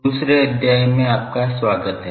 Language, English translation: Hindi, Welcome to the second lecture